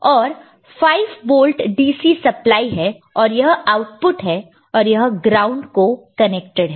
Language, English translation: Hindi, And there is a 5 volt dc supply and this is the output and this is connected to the ground – ok